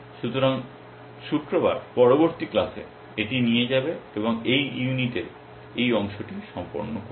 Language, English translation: Bengali, So, will take this up in the next class which is on Friday and complete this part of the this unit